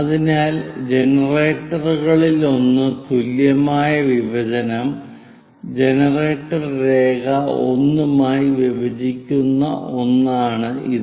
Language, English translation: Malayalam, So, equal division made by one of the generator is this one intersecting with generator line 1